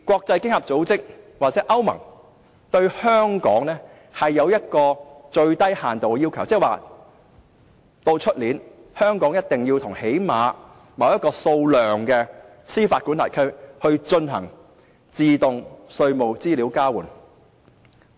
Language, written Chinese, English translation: Cantonese, 經合組織或歐盟對香港亦有一個最低要求，即明年香港一定要與最少某個數目的司法管轄區進行自動稅務資料交換。, OECD or EU has imposed a minimum requirement on Hong Kong that is Hong Kong must at least carry out automatic exchange of tax information with a certain number of jurisdictions next year